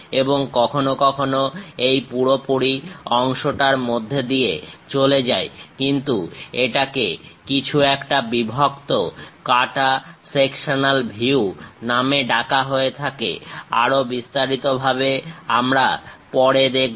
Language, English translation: Bengali, And sometimes it completely goes through the part; but something named broken cut sectional views, more details we will see later